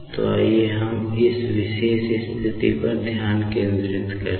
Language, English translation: Hindi, So, let us concentrate on these particular position terms